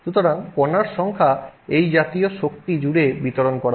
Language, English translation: Bengali, So, number of particles are distributed across energy like this